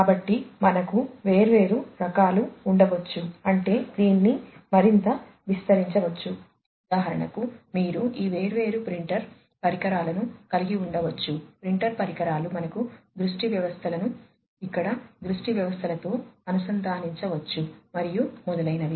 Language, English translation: Telugu, So, we can have different types I mean this can be extended even further you can have these different printer devices for example, printer devices we can have vision systems connected over here vision systems, and so on